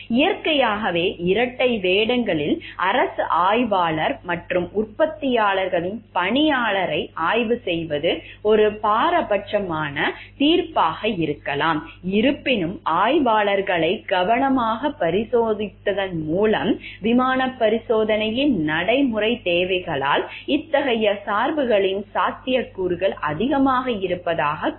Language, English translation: Tamil, Naturally the dual roles government inspector and employee of the manufacturer being inspected could bias judgment, yet with careful screening of inspectors the likelihoods of such bias is said to be outweighed by the practical necessities of airplane inspection